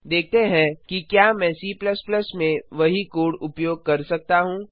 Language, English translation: Hindi, Let see if i can use the same code in C++, too